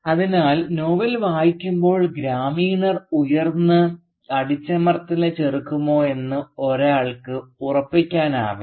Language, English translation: Malayalam, Hence while reading the novel one is never very sure whether the villagers, I mean, whether they do rise and resist the oppression